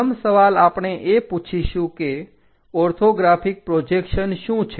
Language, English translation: Gujarati, First question we will ask what is an orthographic projection